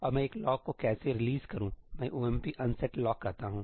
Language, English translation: Hindi, And how do I release a lock I call ëomp unset lockí